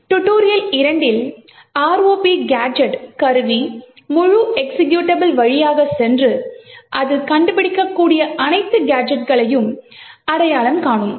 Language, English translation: Tamil, The ROP gadget tool would do was that it would pass through the entire executable, tutorial 2 and identify all possible gadgets that it can find